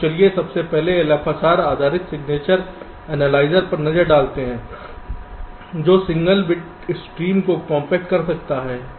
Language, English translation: Hindi, so let us first look at the l f s r based signature analyzer, which can compact a single bit stream